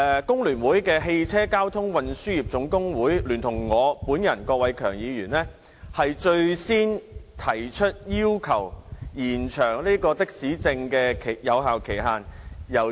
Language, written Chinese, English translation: Cantonese, 工聯會屬下汽車交通運輸業總工會聯同我本人，最先提出要求延長的士司機證有效期的建議。, The Motor Transport Workers General Union under the Hong Kong Federation of Trade Unions FTU and I myself have been the first ones to propose an extension of the validity period of taxi driver identity plates